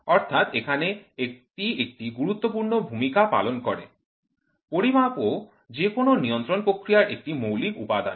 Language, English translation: Bengali, So, here it plays a important role, measurement is also a fundamental element of any control process